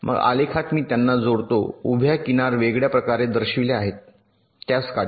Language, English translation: Marathi, then in the graph i connect them by a vertical edge which is showed differently